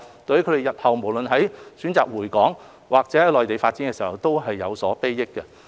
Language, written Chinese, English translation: Cantonese, 對於他們日後選擇回港，還是在內地發展事業，都有所裨益。, It will be beneficial to them either when they choose to return to Hong Kong or pursue career development in the Mainland